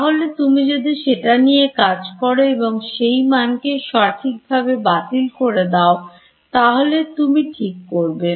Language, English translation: Bengali, So, if you can deal with that and cancel it off correctly then you will be fine